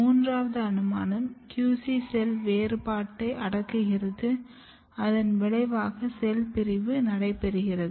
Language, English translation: Tamil, In third possibility, QC is actually repressing differentiation and result is activation of cell division